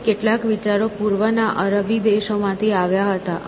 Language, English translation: Gujarati, Some of these ideas came from the east by a Arabian countries